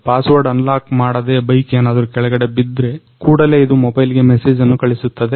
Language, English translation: Kannada, Without unlocking the password if the bike falls off, then also it will send the message to mobile I got a notification